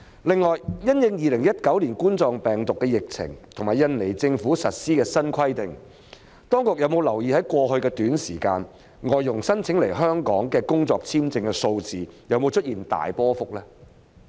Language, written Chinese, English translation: Cantonese, 另外，因應2019年冠狀病毒病疫情，以及印尼政府實施的新規定，當局有否留意在過去一段短時間，外傭申請來香港工作的簽證數字有否出現大波幅變動？, Separately in view of the COVID - 19 epidemic as well as the new requirements implemented by the Indonesian Government have the authorities noted whether the number of visa applications from FDHs for working in Hong Kong has greatly fluctuated over a short period of time in the past?